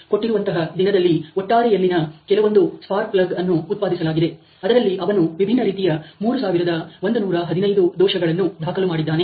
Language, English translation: Kannada, So, in total out of whatever number of is spark plug submit in produced in given day he is recorded about 3115 defects of different kinds